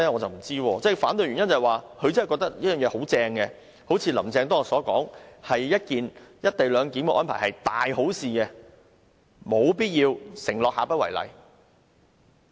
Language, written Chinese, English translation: Cantonese, 他們反對的原因是不是他們真的覺得這方案很好，正如"林鄭"當天說"一地兩檢"的安排是大好事，因而沒有必要承諾下不為例？, Do they oppose my amendment because they truly think that the proposal is very good just as Carrie LAM said the other day that the co - location arrangement was a great thing so they consider a promise for not doing it again unnecessary?